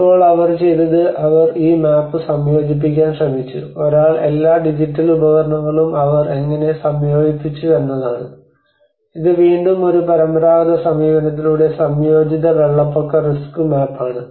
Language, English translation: Malayalam, Now what they did was they tried to combine this map and one is using all the digital tools how they combined and this is again a combined flood risk map by a traditional approach